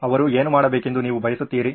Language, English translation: Kannada, What do you want them to do